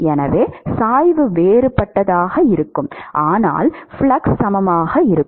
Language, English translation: Tamil, So, the gradients will be different, but the flux will be equal